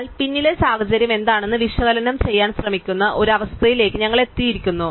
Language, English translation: Malayalam, But we have just come to a situation where we try to analyze what is the situation below